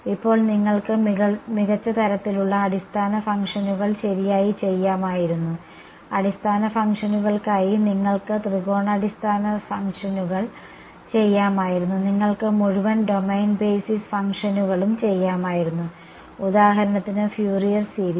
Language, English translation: Malayalam, Now you could have done better kind of basis functions right, you could have done for basis functions you could have done triangular basis functions, you could have done entire domain basis functions for example, Fourier series